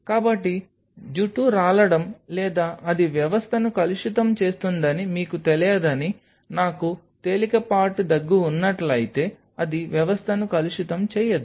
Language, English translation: Telugu, So, that there is hair fall or something it is not going to you know contaminate the system, have the mask even if I have a mild cougher anything it is not going to contaminate system